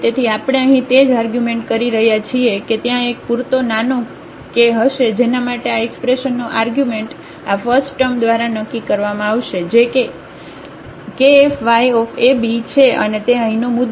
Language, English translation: Gujarati, So, same argument we are making here that there will be a sufficiently small k for which the sign of this expression will be determined by this first term which is k fy a b and that is the point here